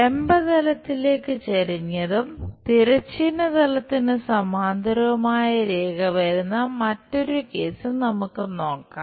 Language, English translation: Malayalam, Let us look at another case where a line is inclined to vertical plane and it is parallel to horizontal plane